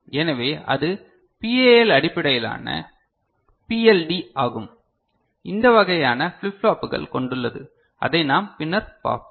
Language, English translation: Tamil, So, that is PAL based PLD with this kind of you know flip flops involved which we shall see later